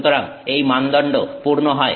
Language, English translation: Bengali, So, this criteria is met